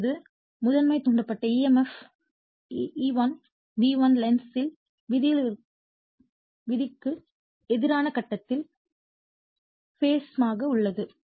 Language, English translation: Tamil, Now the primary induced emf E1 is in phase opposition to V1 / Lenz’s law and is showN180 degree out of phase with V1